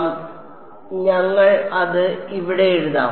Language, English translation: Malayalam, So, so, we will let us write this down over here